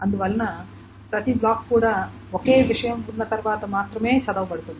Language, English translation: Telugu, Therefore each block is also read only once